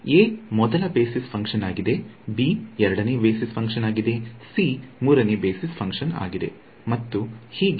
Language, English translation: Kannada, So, a is the first basis function, b is the second basis function, c is the third basis function and so on